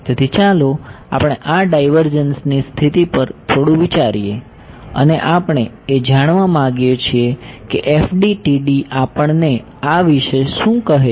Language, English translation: Gujarati, So, let us reflect on this divergence condition a little bit, and we want to find out what is FDTD tell us about this